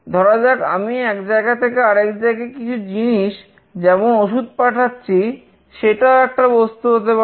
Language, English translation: Bengali, Let us say I am sending something from one place to another like a medicine, that could be also an object